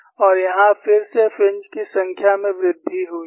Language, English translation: Hindi, And here again, the number of fringes have increased